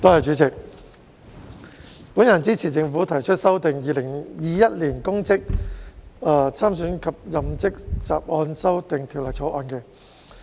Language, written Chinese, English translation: Cantonese, 代理主席，我支持政府提出《2021年公職條例草案》。, Deputy President I support the Public Offices Bill 2021 the Bill proposed by the Government